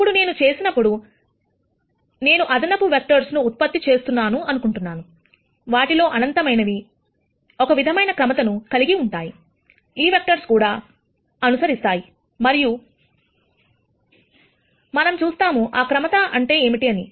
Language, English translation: Telugu, Now when I do this here, the assumption is the extra vectors that I keep generating, the infinite number of them, all follow certain pattern that these vectors are also following and we will see what that pattern is